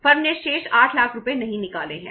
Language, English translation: Hindi, Firm has not withdrawn the remaining 8 lakh rupees